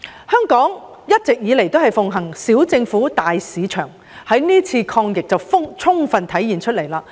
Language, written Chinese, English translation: Cantonese, 香港一直以來奉行"小政府，大市場"，這點可在是次抗疫中充分體現到。, Hong Kong has all along upheld the principle of small government big market . This is fully reflected in the present fight against the epidemic